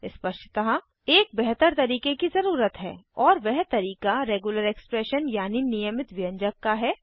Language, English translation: Hindi, Obviously there needs to be a better way and that way is through Regular expressions